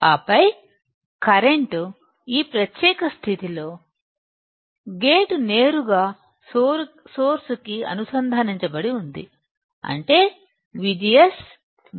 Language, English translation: Telugu, And then, right now in this particular condition, the gate is directly connected to source; that means, that V G S, V G S is 0